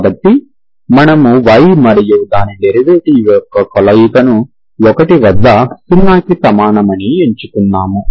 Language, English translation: Telugu, So we have chosen combination of y and its derivative at 1, this is equal to 0